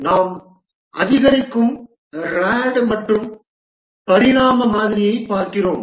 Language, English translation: Tamil, We'll look at the incremental, the rad and evolutionary model